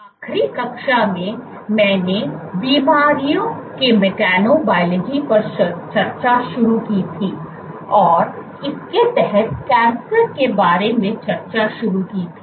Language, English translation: Hindi, So, in the last class, I had started discussing mechanobiology of diseases and under this started discussing about cancer